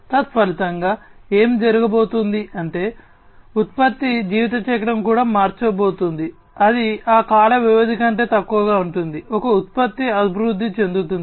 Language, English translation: Telugu, And consequently what is going to happen is that the product life cycle is also going to be changed, it is going to be lower the number of that the duration of time that a product will be developed over is going to be reduced